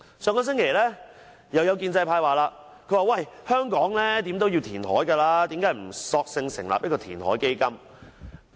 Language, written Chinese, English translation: Cantonese, 上星期有建制派議員說，"香港無可避免要填海，何不成立填海基金"。, Last week a Member of the pro - establishment camp said Reclamation is inevitable in Hong Kong so why dont we establish a reclamation fund?